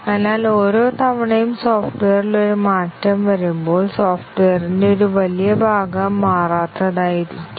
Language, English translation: Malayalam, So, each time there is a change to the software, there is a large part of the software that has not changed